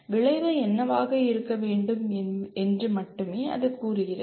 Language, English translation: Tamil, It only says what should be the outcome